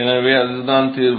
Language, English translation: Tamil, So, that is the solution